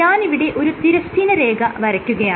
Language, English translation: Malayalam, So, if I draw horizontal line here